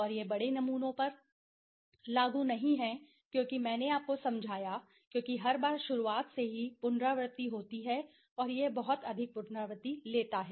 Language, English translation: Hindi, And this is not applicable to large samples because I explained you because every time the iteration is done from the beginning and it takes to much iteration okay